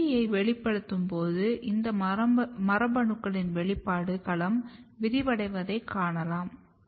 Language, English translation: Tamil, And you when you over express LEAFY 1 you can see that expression domain of all these genes are getting expanded